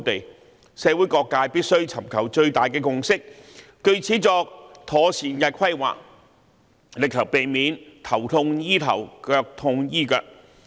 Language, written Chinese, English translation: Cantonese, 就此，社會各界必須尋求最大的共識，作妥善規劃，力求避免"頭痛醫頭，腳痛醫腳"。, In this connection various sectors in society must seek the greatest consensus and conduct proper planning to avoid the practice of treating the head when there is a headache and treating the leg when there is an aching leg